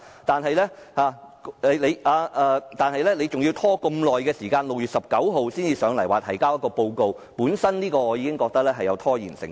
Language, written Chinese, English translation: Cantonese, 但是，當局還要拖延這麼久，待至6月19日才前來提交報告，我認為此舉本身已有拖延成分。, However the authorities still want to put up such a long delay and put off making a report to this Council until 19 June . I think this move itself has some intention of procrastination